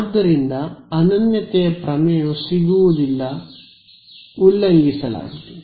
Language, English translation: Kannada, So, uniqueness theorem does not get violated